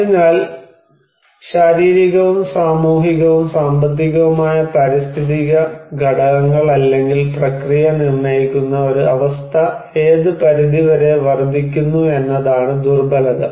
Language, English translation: Malayalam, So, vulnerability is that a condition that determined by physical, social, economic environmental factors or process which increases at what extent